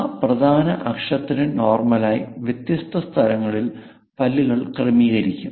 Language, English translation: Malayalam, At different locations normal to that major axis, teeth will be arranged